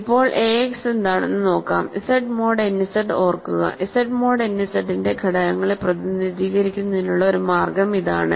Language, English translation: Malayalam, So, now, I need to let you what is ax, remember Z mod n Z one way of representing elements of Z mod n Z is this